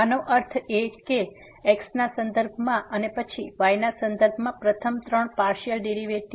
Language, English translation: Gujarati, This means the first three partial derivative with respect to and then with respect to